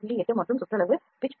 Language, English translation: Tamil, 8 and circumferential pitch is 0